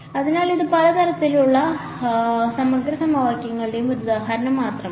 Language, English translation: Malayalam, So, this is just one example of many types of integral equations